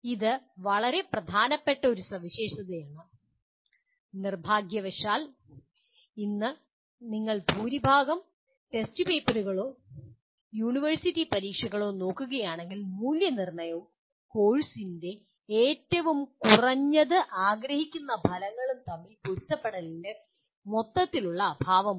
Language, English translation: Malayalam, This is one of the very important properties and unfortunately today if you look at majority of the test papers or the university exams, there is a total lack of alignment between the assessment and at least perceived outcomes of the course